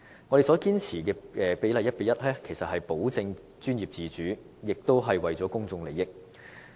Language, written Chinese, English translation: Cantonese, 我們堅持 1：1 的比例，其實是為了保證專業自主和保障公眾利益。, Our insistence on the ratio of 1col1 is meant to ensure professional autonomy and protect the public interest